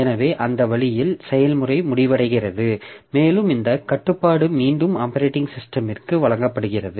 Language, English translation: Tamil, So that way the process terminates and this control is given back to the operating system